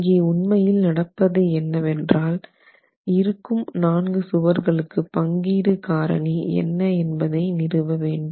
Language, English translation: Tamil, So, what's really happening is we need to be able to establish what is the distribution factor